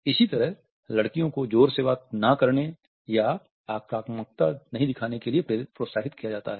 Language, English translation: Hindi, Similarly girls are encouraged not to talk loudly or to show aggression